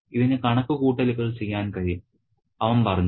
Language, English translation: Malayalam, This can do calculations, he said, a machine it can